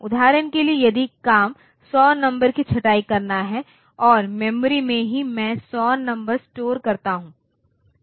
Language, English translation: Hindi, For example, if the job is to sorts say 100 numbers and in the memory itself I store the 100 numbers